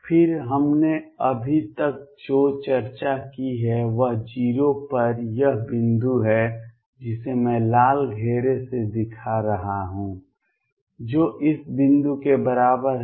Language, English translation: Hindi, Then what we have discussed So far is this point at 0 which I am showing by red circle is equivalent to this point